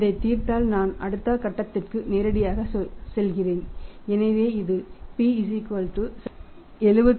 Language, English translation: Tamil, 80 if you solve this I am going to the next step directly so this is p = 75 7